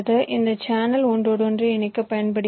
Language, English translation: Tamil, this channel is used for interconnection